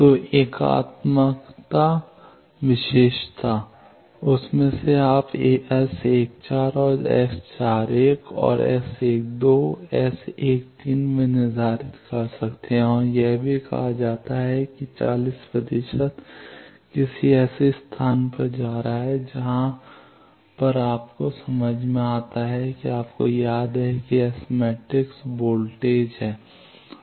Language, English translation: Hindi, So, unitary property, from that you can determine S 14 and S 41 and also S 12, S 13 also it is said 40 percent going to some where means that power wise you remember S matrix is voltage